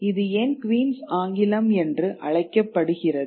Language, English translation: Tamil, Because why is it called the Queen's English